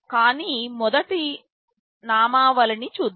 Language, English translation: Telugu, But, first let us look at the nomenclature